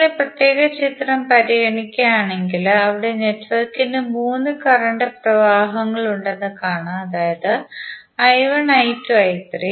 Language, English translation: Malayalam, Now if you consider this particular figure, there you will see that network has 3 circulating currents that is I1, I2, and I3